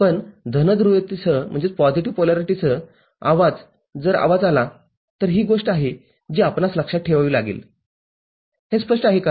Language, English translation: Marathi, But, noise with positive polarity if it comes noise it then this is the thing that we are need to remember, is it clear